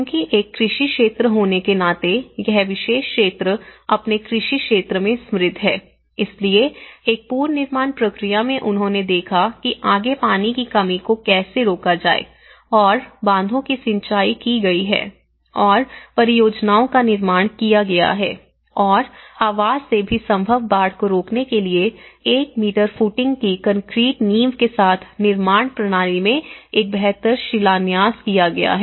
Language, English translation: Hindi, So, because being an agricultural sector, this particular region is rich in its agricultural sector, so one is in the reconstruction process, they looked at how to prevent the further water shortage and dams have been irrigation projects have been built and also from the housing the construction system with concrete foundations of 1 meter footings to prevent possible floods was built an improved quincha